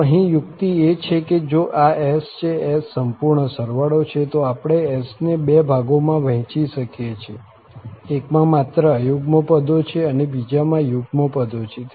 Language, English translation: Gujarati, So, here the trick is that if this S, S is this complete sum, we can break into, we can split into two portion, one having only the odd terms